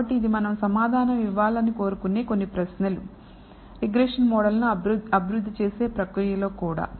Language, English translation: Telugu, So, these are some of the questions that we would like to answer, even in the process of developing the regression model